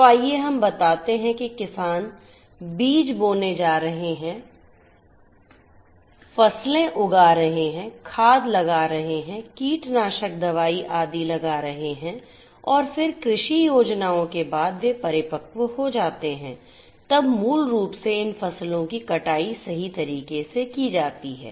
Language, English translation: Hindi, So, let us say that sowing of seeds, sowing seeds the farmers are going to sow seeds, grow crops, apply fertilizers, apply pesticides, etcetera and then after the agricultural plans they become matured, then basically these crops are harvested right